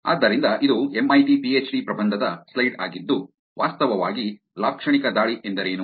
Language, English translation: Kannada, So, this is a slide from an MIT PhD thesis which actually looked at what a semantic attack is